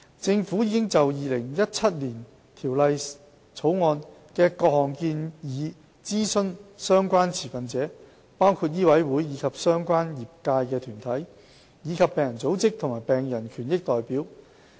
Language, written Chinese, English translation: Cantonese, 政府已就《2017年條例草案》的各項建議諮詢相關持份者，包括醫委會及相關業界團體，以及病人組織和病人權益代表。, The Government has consulted various relevant stakeholders on the 2017 Bill including MCHK relevant trade bodies patients organizations and patients rights representatives